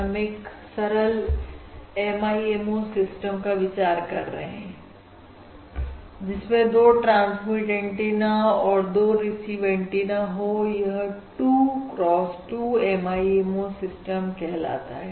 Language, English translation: Hindi, this is: 2 transmit antennas and these are your 2 receive antennas and this is termed as a 2 cross 2 MIMO system in general